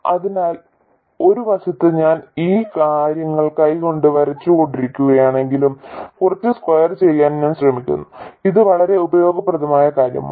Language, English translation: Malayalam, So by the way just as an aside I am trying to sketch these things somewhat to scale although I am drawing it by hand and this is a very useful thing to do